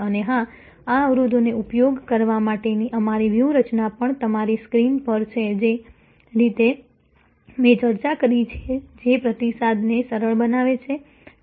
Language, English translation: Gujarati, And of course, our strategies to use these barriers are also there on your screen the way I discussed that make feedback easy